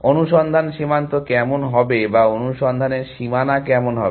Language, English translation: Bengali, How will the search frontier look like or the boundary of the search look like